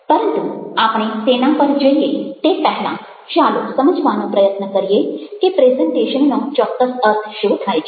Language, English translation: Gujarati, but before we move on to that, let us try to understand what we exactly we mean by presentation